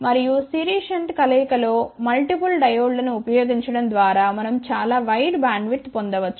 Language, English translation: Telugu, And, by using multiple diodes in series shunt combination, we can obtain very wide bandwidth